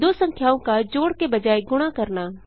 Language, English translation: Hindi, Multiplying two numbers instead of adding